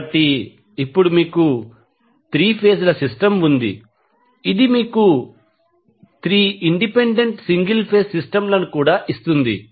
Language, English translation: Telugu, So, now, you will have 3 phase system which will give you also 3 independent single phase systems